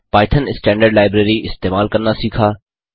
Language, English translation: Hindi, Use python standard library